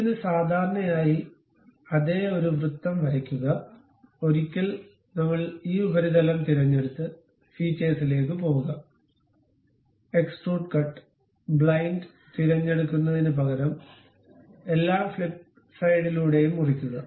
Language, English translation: Malayalam, For this normal to it, draw a circle of same radius, once done we pick this surface, go to features, extrude cut, instead of blind pick through all flip side to cut